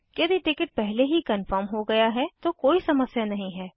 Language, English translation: Hindi, If the ticket is already confirmed their are no difficulties